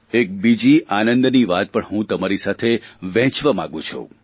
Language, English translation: Gujarati, I also want to share another bright news with you